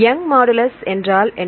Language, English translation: Tamil, If you know Young’s modulus; what is Young’s modulus